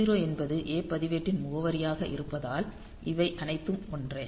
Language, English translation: Tamil, So, e 0 being the address of a register; so, the all these are same